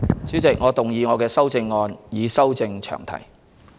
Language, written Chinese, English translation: Cantonese, 主席，我動議我的修正案，以修正詳題。, Chairman I move my amendment to amend the long title